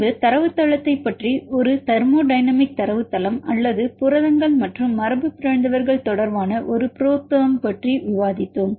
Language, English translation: Tamil, In later part we discussed about the database a thermodynamic database or proteins and mutants a ProTherm